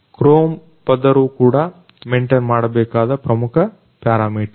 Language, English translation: Kannada, Also, the chrome layer is important parameter to maintain